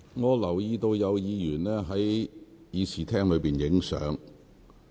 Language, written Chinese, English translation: Cantonese, 我留意到有議員在會議廳內拍照。, I notice that certain Members have taken photos in the Chamber